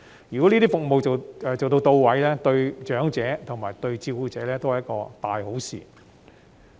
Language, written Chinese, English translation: Cantonese, 如果這些服務到位，對長者及照顧者都是一件大好事。, If the support services can meet their needs both elderly persons and carers will benefit greatly